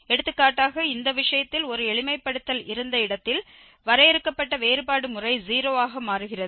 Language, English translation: Tamil, Whereas, for instance in this case where the there was a simplification the finite difference systems become 0